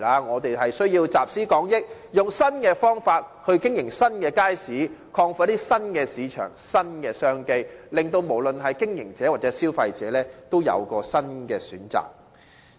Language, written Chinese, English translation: Cantonese, 我們需要集思廣益，以新方法經營新街市，開拓新的市場和新的商機，使不論經營者或消費者也有新的選擇。, We need to draw on collective wisdom and operate the new market with a new approach developing a new clientele and new business opportunities so that both business operators and consumers will have a new choice